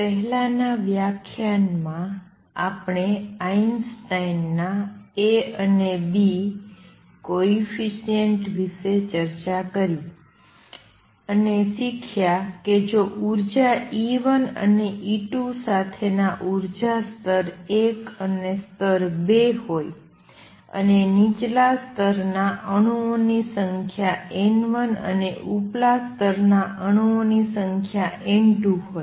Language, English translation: Gujarati, In the previous lecture we discussed Einstein’s A and B coefficients, and learnt that if there are two energy levels 1 and 2 with energies E 1 and E 2